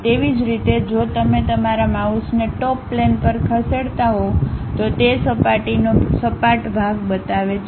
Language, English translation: Gujarati, Similarly, if you are moving your mouse on to Top Plane, it shows flat section of that surface